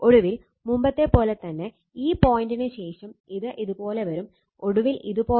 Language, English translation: Malayalam, And finally, again after this point same as before, see it will come like this, and finally it will come like this